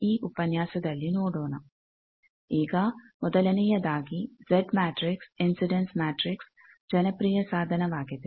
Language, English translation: Kannada, Now, this is the first that obviously, Z matrix incidence matrix is a popular tool